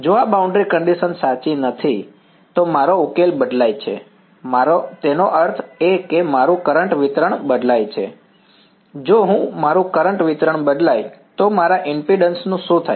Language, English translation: Gujarati, If this boundary condition is not true, my solution changes right my; that means, my current distribution changes if the my current distribution changes what happens to my impedance